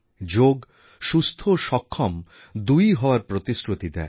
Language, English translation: Bengali, Yoga is a guarantee of both fitness and wellness